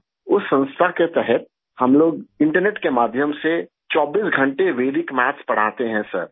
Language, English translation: Urdu, Under that organization, we teach Vedic Maths 24 hours a day through the internet, Sir